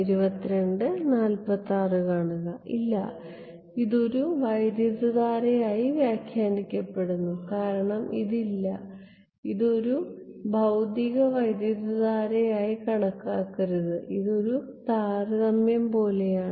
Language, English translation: Malayalam, No, it is interpreted as a current because no do not think of it as a physical current it is not a it is like a the comparison is with